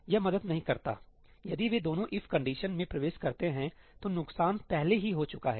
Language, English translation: Hindi, This does not help ; if both of them enter the If condition, the damage has already been done